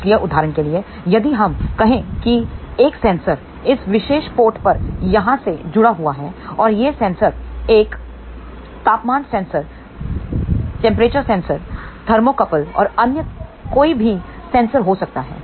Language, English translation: Hindi, So, for example, if let us say a sensor is connected at this particular port over here and this sensor can be a temperature sensor pressure sensor thermocouple and so on